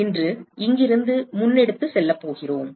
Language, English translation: Tamil, So, we are going to take it forward from here today